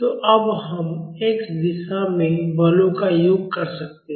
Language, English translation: Hindi, So, now we can sum up the forces in x direction